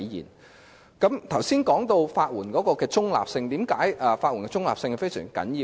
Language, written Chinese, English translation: Cantonese, 我剛才提到法援的中立性，為甚麼法援的中立性十分重要？, I mentioned neutrality just now . Why is neutrality so important to legal aid?